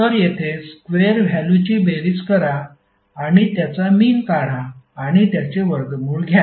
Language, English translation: Marathi, So here square value is there to sum up and take the mean and take the under root of the term